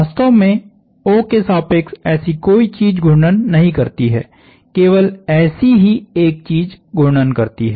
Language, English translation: Hindi, In fact, there is no such thing has rotate about O, there is only such a thing has rotate